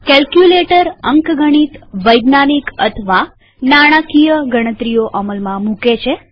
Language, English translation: Gujarati, Calculator helps perform arithmetic, scientific or financial calculations